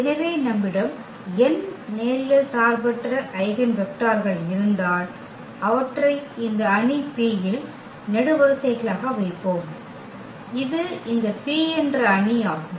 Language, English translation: Tamil, So, if you have n linearly independent eigenvectors, we will just place them in this matrix P as the columns, and this is our matrix this P